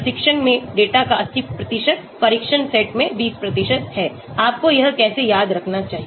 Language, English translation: Hindi, 80% of the data in training, 20% in the test set that is how you need to do remember that